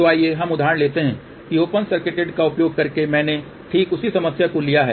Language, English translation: Hindi, So, let us just take example using open circuited I have taken exactly the same problem